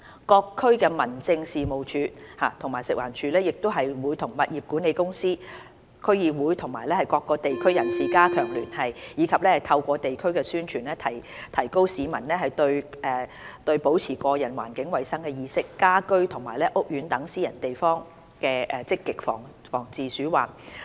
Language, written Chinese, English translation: Cantonese, 各區民政事務處及食環署亦會與物業管理公司、區議會及地區人士加強聯繫，以及透過地區宣傳，提高市民對保持個人和環境衞生的意識，在家居和屋苑等私人地方積極防治鼠患。, All District Offices of the Home Affairs Department and FEHD will also strengthen liaison with property management companies District Councils DCs and local communities in order to raise public awareness of the importance of maintaining personal and environmental hygiene in preventing rodent infestation in private places including peoples homes and housing estates through carrying out publicity at the district level